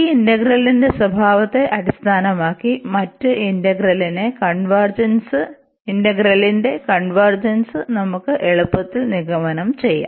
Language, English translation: Malayalam, And based on the behaviour of this integral, we can easily conclude the convergence of the other integral